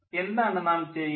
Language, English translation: Malayalam, what is happening